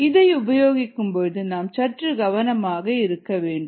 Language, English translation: Tamil, ah, we will have to be a little careful while using this